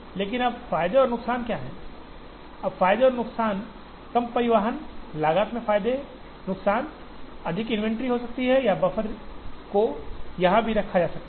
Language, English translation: Hindi, But now, what are the advantages and the disadvantages, now the advantages and disadvantages, advantages in reduced transportation cost, the disadvantage could be more inventory or buffer needs to be kept here as well as here